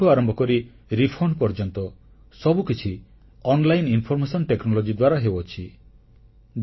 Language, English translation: Odia, Everything from return to refund is done through online information technology